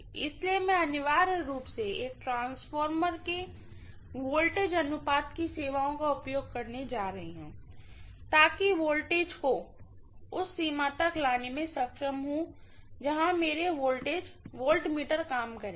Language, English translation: Hindi, So I am essentially trying to use the services of the voltage ratio of a transformer, so that I am able to bring the voltage down to the range where my voltmeters would work